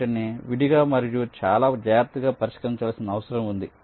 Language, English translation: Telugu, they need to be addressed separately and very carefully